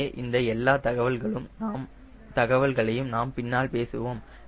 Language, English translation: Tamil, so all those details we will be talking later